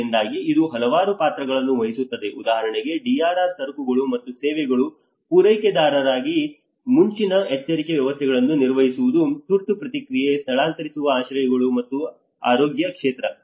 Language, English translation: Kannada, So it plays a number of roles, one is as a providers of DRR goods and services for instance, maintaining early warning systems, emergency response, evacuation shelters and the healthcare sector